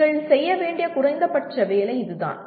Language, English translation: Tamil, That is the minimum that you should be doing